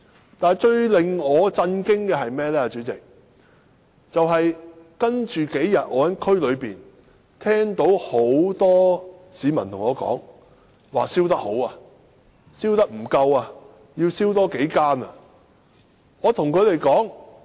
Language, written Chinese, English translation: Cantonese, 主席，最令我感到震驚的是接下來的數天，我聽到很多市民向我表示"燒得好"和燒得不夠多，應多燒數間。, Yet President I am most shocked by the events that occurred in the following days . I heard many members of the public tell me that the fire was a Good job and more of those shops should be burnt down